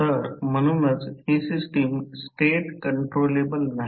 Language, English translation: Marathi, So, therefore this system is not state controllable